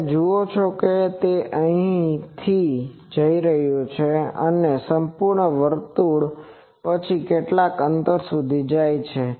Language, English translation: Gujarati, You see that it is starting from here going and one full circle then up to some distance